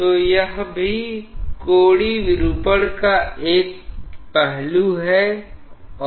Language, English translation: Hindi, So, that is also an aspect of angular deformation